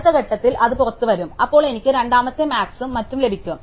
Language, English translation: Malayalam, At the next point, that will come out, and then I will get the second max and so on, right